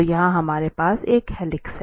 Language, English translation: Hindi, So, here we have a helix